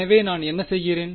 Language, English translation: Tamil, So, what am I doing